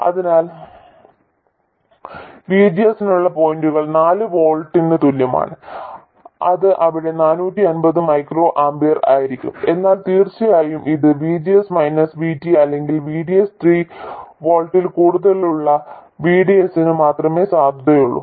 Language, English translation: Malayalam, So, this is the point for VGS equals 4 volts and that will be 450 microamper there, but of course it is valid only for VDS more than VGS minus VT or vds more than 3 volts